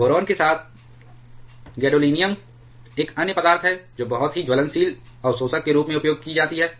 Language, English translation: Hindi, Along with boron, gadolinium is another material which is very commonly used as burnable absorbers